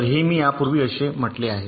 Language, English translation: Marathi, so this is what i have said earlier